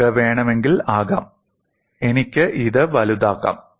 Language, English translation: Malayalam, If you want, I can make this big